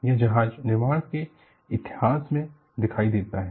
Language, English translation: Hindi, It appears in the history of ship building